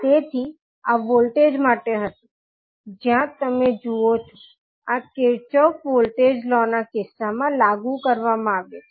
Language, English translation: Gujarati, So this was for the voltage, where you see, this would be applied in case of Kirchhoff’s voltage law